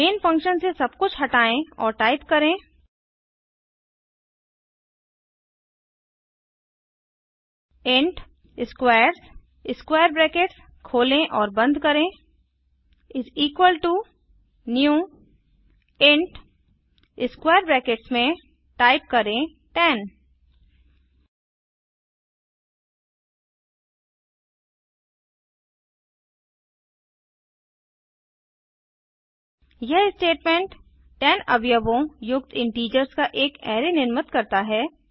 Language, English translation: Hindi, Remove everything in main function and type int squares [] = new int [10] This statement creates an array of integers having 10 elements